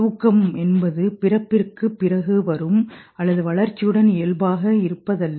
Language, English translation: Tamil, Sleep is not something which comes after birth or whatever